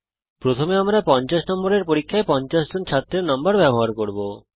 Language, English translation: Bengali, First we will use the marks of 50 students in a 50 mark test